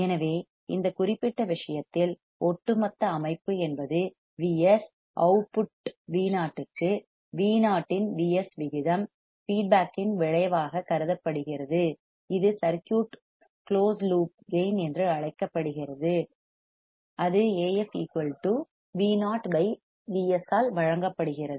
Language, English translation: Tamil, So, in this particular case, the overall system is V s, output V o the ratio of V o to V s is considered effect of feedback it is called the closed loop gain of the circuit; and it is given by A f equals to V o by V s